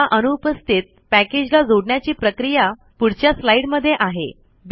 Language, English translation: Marathi, The way to include such missing packages is explained in the next slide